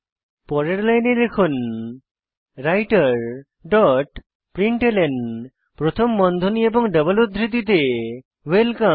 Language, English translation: Bengali, On the next line type writer dot println within brackets and double quotes welcome